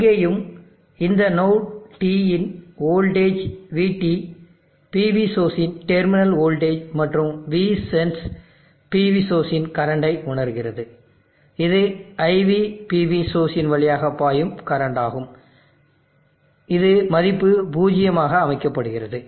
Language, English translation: Tamil, Here also the voltage of this node T at VT is the terminal voltage of the PV source and V sense is sensing the current of the PV source which is the current flowing through the VIPV source which is set to a value zero